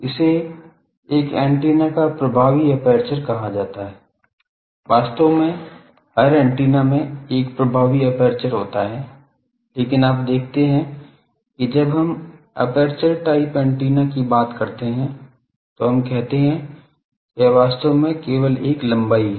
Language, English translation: Hindi, This is called Effective Aperture of an Antenna, actually every antenna has an effective aperture, but you see that when we talk of wire antenna, we say that I really that has only a length